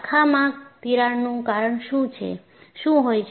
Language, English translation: Gujarati, What causes the crack to branch